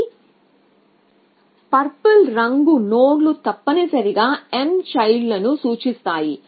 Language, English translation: Telugu, So, these purple nodes represent children of m essentially